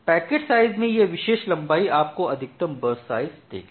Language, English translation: Hindi, So, at the packet side this particular length will give you the maximum burst sizes